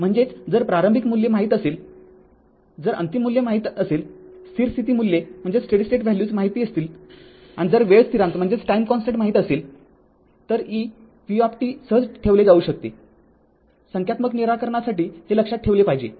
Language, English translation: Marathi, That means if you know, if you know the initial initial value, if you know the final value, the steady state values, and if you know the time constant, easily you can compute v t right, this you have to keep it in your mind for solving numerical